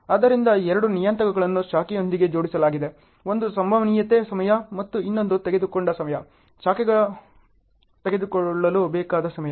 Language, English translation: Kannada, So, two parameters are linked with the branch; one is a probability time and the other one is the time taken, time required for the branch to take